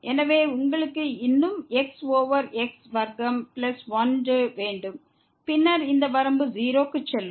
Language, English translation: Tamil, So, you have still over square plus and then, this limit will go to